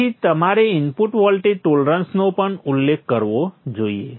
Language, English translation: Gujarati, So you should also specify the input voltage problems